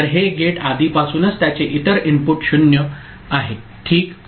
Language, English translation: Marathi, So, these gate already the other input of it is 0 ok